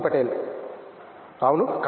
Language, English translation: Telugu, Bakthi patel: Yeah